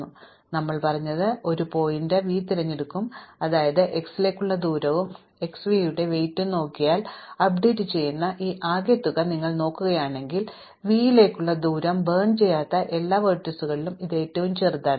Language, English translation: Malayalam, So, what we said is that we will pick a vertex v, such that if we look at the distance to x plus the weight of x v, if you look at this total sum which will be updated distance to v, this is smallest among all the vertices which are not burnt